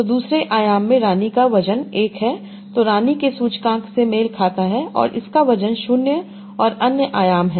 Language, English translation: Hindi, So queen has a weight of one in the second dimension that correspond to the index of queen and it has weight zero in other dimensions